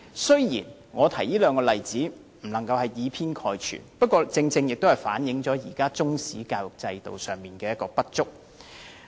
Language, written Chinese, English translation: Cantonese, 雖然我不能以偏概全，但這兩個例子足以反映現時中史教育的不足。, Although I cannot generalize the whole picture these two examples can well reflect the current inadequacy of Chinese history education